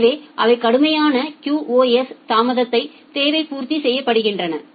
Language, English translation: Tamil, So, that they are strict QoS delay requirement gets satisfied